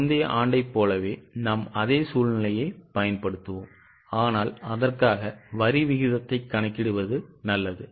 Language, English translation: Tamil, We will apply same scenario like the earlier year but for that it is better to calculate the tax rate